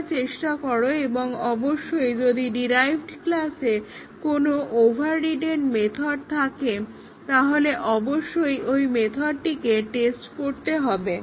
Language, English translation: Bengali, Please try and of course, if there is an overridden method in a derived class then obviously, the overridden method has to be tested